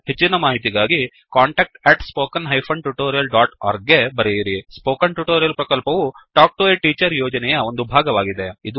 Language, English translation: Kannada, For more details, please write to contact@spoken tutorial.org Spoken Tutorial project is a part of the Talk to a Teacher project